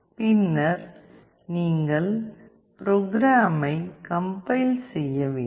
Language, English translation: Tamil, And then you have to compile the program